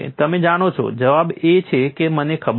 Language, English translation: Gujarati, You know the answer is I do not know